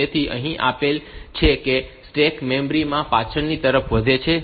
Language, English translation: Gujarati, So, given that the stack grows backwards into the memory